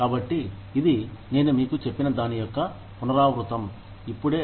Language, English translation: Telugu, So, this is just a repetition of, what I told you, right now